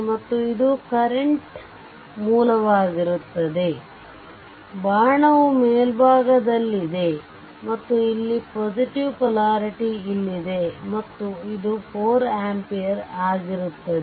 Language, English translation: Kannada, And this will be your current source; arrow is upwards right, and because here plus polarity is here and this will be your 4 ampere right